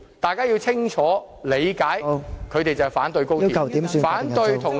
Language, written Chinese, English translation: Cantonese, 大家要清楚理解，他們是反對高鐵，反對任何與內地的合作......, We should see clearly that they oppose XRL and any form of cooperation with the Mainland